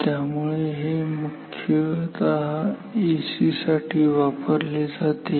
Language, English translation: Marathi, So, this is used mainly for AC